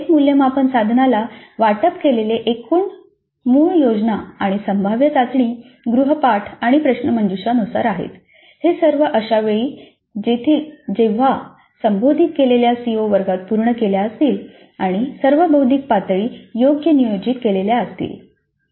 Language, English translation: Marathi, So the total marks allocated to each assessment instrument are as per the original plan and the scheduled test assignments and quizzes they all occur at a time by which the addressed CEOs have been completed in the classrooms and the cognitive levels are all appropriately planned